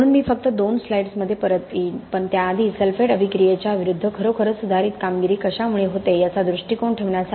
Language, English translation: Marathi, So I will come back to that in just couple of slides but before that just to put in perspective what really leads to a improved performance against sulphate attack